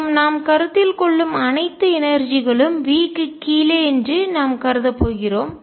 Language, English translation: Tamil, And we are going to assume that all energies we are considering are below V